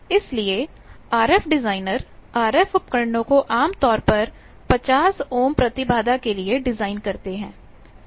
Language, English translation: Hindi, So, RF at RF people they the instruments, etcetera that is designed generally for 50 ohm of power 50 ohm of 50 ohm impedance